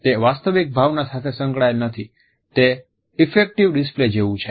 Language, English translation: Gujarati, It is not accompanied by a genuine emotion, it is like an effect display